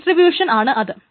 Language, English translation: Malayalam, This is called distribution